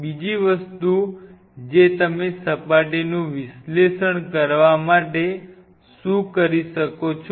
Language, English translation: Gujarati, Second thing what you can do to analyze the surface